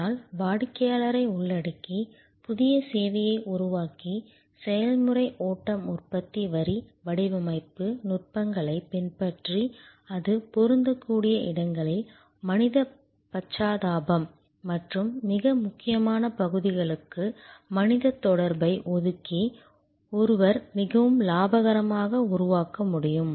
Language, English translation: Tamil, But in creating a new service by involving the customer and adopting process flow manufacturing line design techniques, where it is applicable, reserving human empathy and a human touch for the most critical portions, one can create very profitable